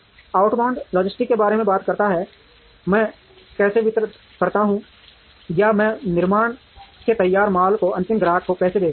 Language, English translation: Hindi, Outbound logistics talks about, how do I distribute or how do I send the finished goods from manufacturing, to the end customer